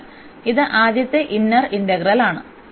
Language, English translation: Malayalam, So, this is the first integral the inner one